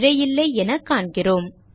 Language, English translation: Tamil, We see that, there is no error